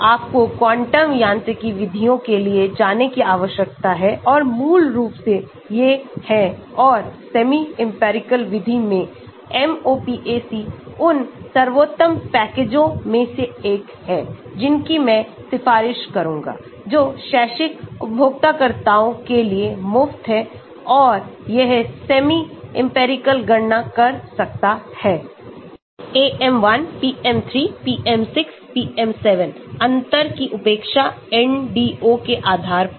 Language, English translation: Hindi, So, you need to go for quantum mechanics methods and basically these are there and in semi empirical method, MOPAC is one of the best packages I would recommend, which is free for academic users and so it can do lot of semi empirical calculations based on say, AM1, PM3, PM6, PM7, neglect of differential, NDO type of methods